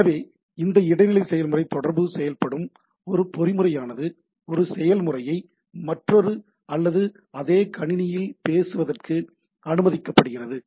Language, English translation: Tamil, So, its a mechanism by which this inter process communication works, it is used to allow one process to speak to another on same or different machine, right